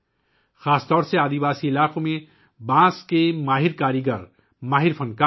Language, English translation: Urdu, There are skilled bamboo artisans, skilled artists, especially in tribal areas